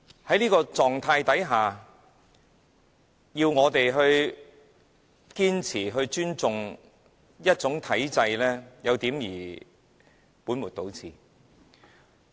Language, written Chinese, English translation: Cantonese, 在這種情況下，要我們堅持尊重某種體制，有點兒本末倒置。, Under such circumstances it is kind of putting the cart before the horse to ask us to uphold respect for a certain regime